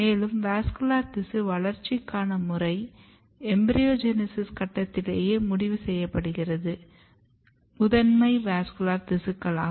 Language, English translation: Tamil, And the process or the developmental program for vascular development is set at the stage of embryogenesis itself the primary vascular tissues